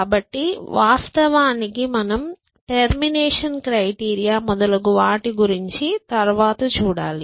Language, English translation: Telugu, So, of course then we have to work out the termination criteria and things like that